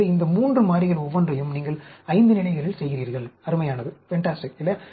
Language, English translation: Tamil, So, each of these 3 variables, you are doing at 5 levels; fantastic, is it not